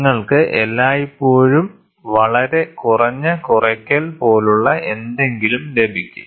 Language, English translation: Malayalam, So, you will always get something like a very low subtractive